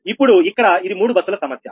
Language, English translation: Telugu, this is also three bus problem